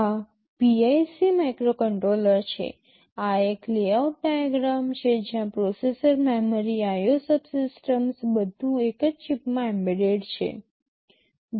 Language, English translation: Gujarati, This is a PIC microcontroller, this is a layout diagram where processor, memory, IO subsystems everything is embedded inside the same chip